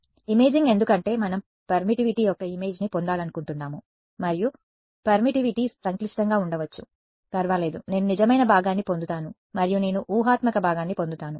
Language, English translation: Telugu, Imaging because we want to get an image of permittivity and permittivity may be complex does not matter, I will get a real part and I will get an imaginary part